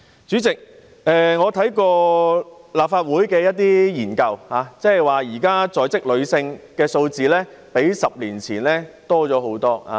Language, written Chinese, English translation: Cantonese, 主席，我曾翻閱立法會進行的研究，發現現時在職女性數目比10年前大幅增加。, President I have read a study conducted by the Legislative Council and found that the existing number of working women has increased drastically over the figure 10 years ago